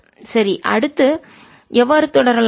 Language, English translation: Tamil, ok, so how to proceed